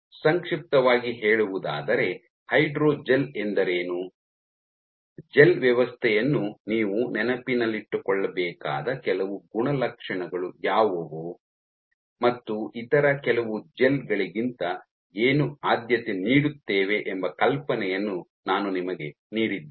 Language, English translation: Kannada, So, in summary I have given you an idea of what a hydrogel is, what are some of the properties which you need to keep in mind with gel system we would prefer over some other gels